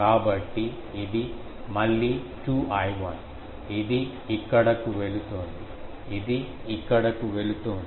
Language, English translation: Telugu, So, it is again 2 I 1, this is going here, this is going here ok